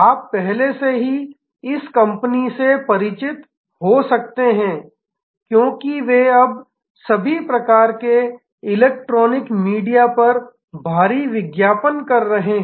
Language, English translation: Hindi, You might be already familiar with this company, because they are now heavily advertising on all kinds of electronic media